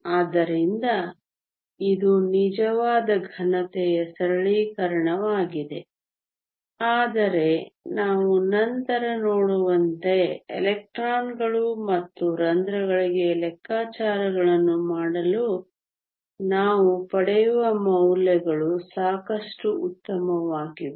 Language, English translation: Kannada, So, this is a simplification of an actual solid, but the values we will get are good enough in order to make calculations for electrons and holes as we will see later